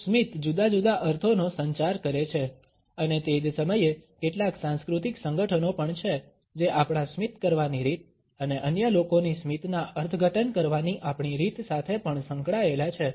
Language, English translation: Gujarati, A smiles communicate different connotations and at the same time there are certain cultural associations which are also associated with the way we smile and the way in which we interpret the smile of other people